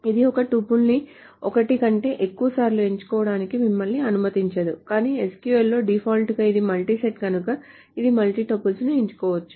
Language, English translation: Telugu, So it does not let you select a tuple more than once, but in SQL, by default, it is a multi set